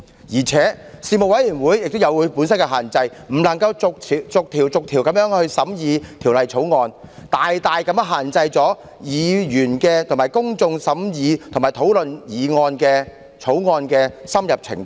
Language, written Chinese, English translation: Cantonese, 再者，事務委員會亦有其限制，不能逐項審議法案的內容，因此大大限制了議員審議及公眾討論法案的深入程度。, Moreover the Panel also has its own limitations as it is unable to conduct clause - by - clause examination of the Bill and this may greatly limit the depth of scrutiny by Members and the thoroughness of discussion of the Bill by the public